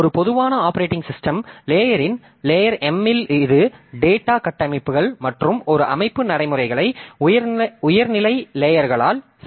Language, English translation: Tamil, So, a typical operating system layers, so at layer M it consists of data structures and a set of routines that can be invoked by higher level layers